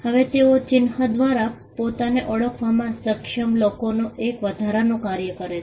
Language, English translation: Gujarati, Now they perform an additional function of people being able to identify themselves through a mark